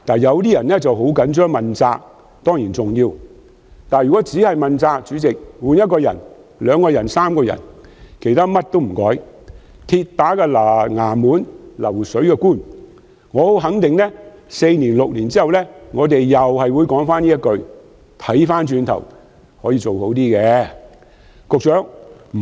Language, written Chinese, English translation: Cantonese, 有人很在意要問責，這當然重要，但如果只求問責，只更換一些人員而不改變其他做法，所謂"鐵打的衙門，流水的官"，我肯定在4年或6年後，我們會再說同一番話："如今回首一看，可以做得較好。, Some people are very concerned about the pursuit of responsibility . Well this is certainly important . But if we merely seek to purse responsibility and only replace some personnel without changing other practices I am sure that four or six years later we will utter the same words In hindsight things could have been done better again because MTRCL will remain in existence like a perpetual government office with constant changes in its officials